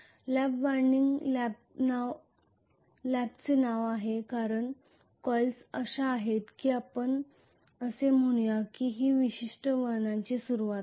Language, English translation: Marathi, The lap winding has the name of Lap because the coils are such that let us say this is going to be the beginning of a particular turn